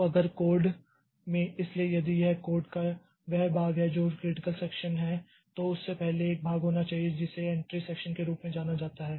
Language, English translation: Hindi, So, if in the code, so if this is the portion of the code which is the critical section, then before that there should be a portion which is known as the entry section